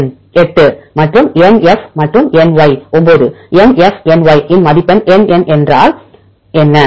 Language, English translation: Tamil, if it is LN and LN if you get 8 and NF and NY get score of 9 NF NY what is NN